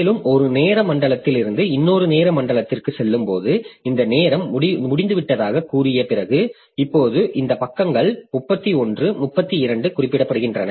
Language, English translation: Tamil, And as you are going from say one time zone to another time zone like after say this time is over now you see that these pages 31 32 they are being referred to more